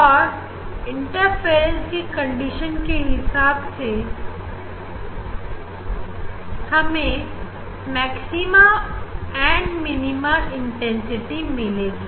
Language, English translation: Hindi, And, we will get the depending on the interference condition you know intensity will be maxima or minima